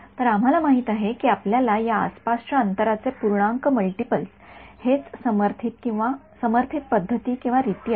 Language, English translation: Marathi, So, we know that you know integer multiples of the distance around this are what will be the supported modes ok